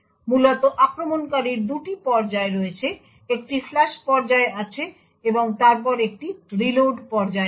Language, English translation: Bengali, Essentially the attacker has 2 phases; there is a flush phase and then there is a reload phase